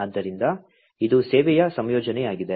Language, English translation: Kannada, So, this is the service composition